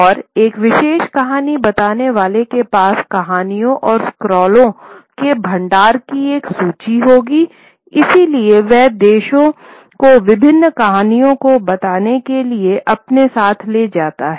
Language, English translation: Hindi, And a particular storyteller would have an inventory of our reporter of stories and scrolls would be carrying it along with him to tell various stories to the audiences